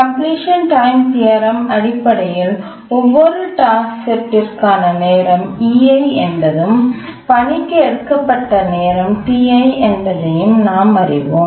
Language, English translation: Tamil, We know that the completion time theorem for every task set we must have EI and the time taken for the task T